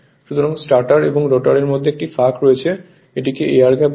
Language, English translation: Bengali, So, there is a there is a gap in between the stator and rotor and that we call air gap right